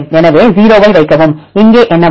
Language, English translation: Tamil, So, put a 0, right what will come here